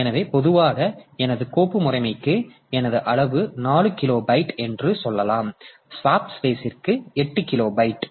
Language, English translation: Tamil, So, normally may be my for my file system that block size may be say 4 kilobyte and while for the swap space so this is made 8 kilobyte